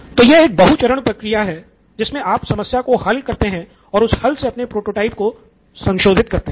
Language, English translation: Hindi, So this is a multi step process then solve that problem and modify that in your prototype